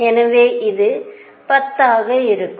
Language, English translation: Tamil, So, this is going to be 10